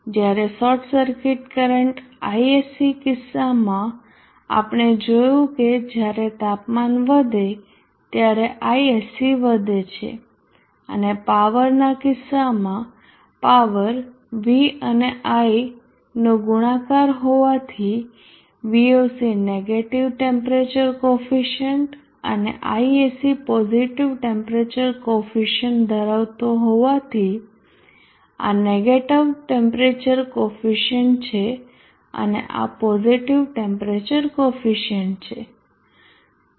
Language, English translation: Gujarati, Therefore in the case of Voc we see that Voc will decrease as temperature increases per as in the case of short circuit current Isc we saw that Isc increases as temperature increases and in the case of power being a product of v x i as Voc is having a negative temperature coefficient and Isc is having a positive temperature coefficient so this is negative temperature coefficient this is positive temperature coefficient